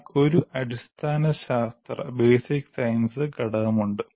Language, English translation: Malayalam, But there is a basic science component